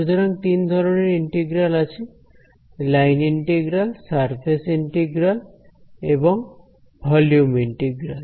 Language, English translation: Bengali, So, there are line integrals, surface integrals and volume integrals